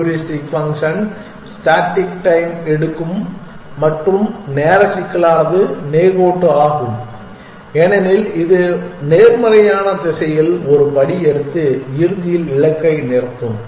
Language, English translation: Tamil, The heuristic function have takes constant time and the time complexity is linear because it will just keep taking one step in positive direction and eventually come to a stop at the goal